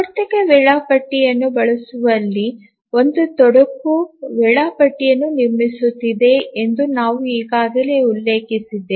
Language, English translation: Kannada, We have already mentioned that one complication in using a cyclic scheduler is constructing a schedule